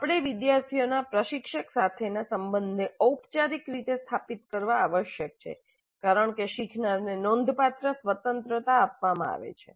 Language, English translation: Gujarati, We must formally establish the relationship of the student to the instructor because there is considerable freedom given to the learner